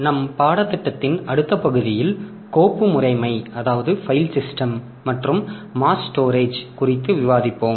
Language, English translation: Tamil, In the next part of our course, so we will be discussing on file system and mass storage